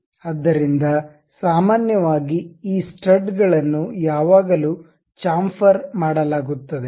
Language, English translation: Kannada, So, usually these studs are always be chamfered